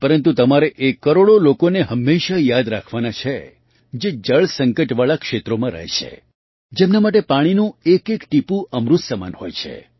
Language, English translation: Gujarati, But, you also have to always remember the crores of people who live in waterstressed areas, for whom every drop of water is like elixir